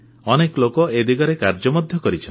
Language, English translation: Odia, A lot of people have worked in this direction